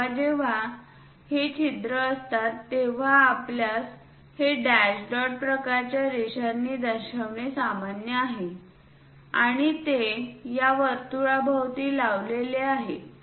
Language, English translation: Marathi, Whenever this holes are there it is common practice for us to show it by dash dot kind of lines, and they are placed around this circle